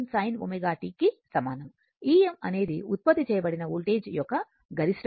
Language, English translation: Telugu, E m is the maximum value of the voltage generated, right